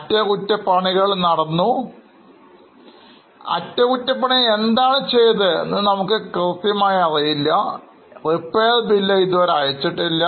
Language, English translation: Malayalam, The particular party who has done the repair has not yet sent the bill